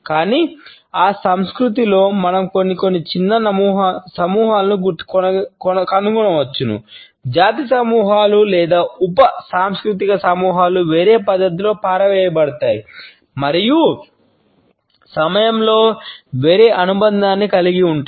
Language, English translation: Telugu, But within that culture we may find some smaller groups for example, ethnic groups or sub cultural groups who are disposed in a different manner and have retained a different association with time